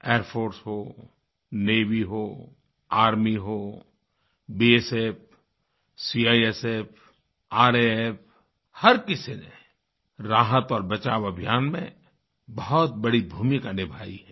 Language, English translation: Hindi, The Air Force, Navy, Army, BSF, CISF, RAF, every agency has played an exemplary role in the rescue & relief operations